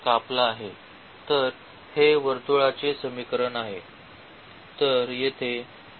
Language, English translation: Marathi, So, this is a equation of the circle